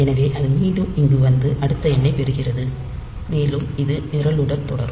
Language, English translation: Tamil, So, it will again come here get the next number and it will do continue with the program